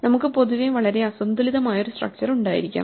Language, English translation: Malayalam, So, we could have in general a very uneven structure